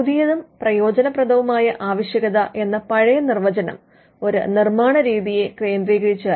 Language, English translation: Malayalam, Now the new and useful requirement, was centered the old definition was centered around a manner of manufacture